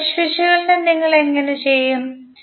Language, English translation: Malayalam, Now, how you will do the mesh analysis